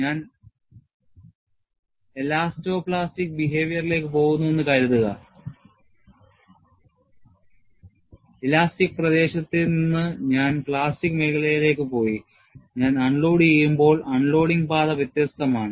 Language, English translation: Malayalam, Suppose, I go to elasto plastic behavior; from elastic region I have gone to plastic region; when I unload, the unloading path is different; it is not same as the loading path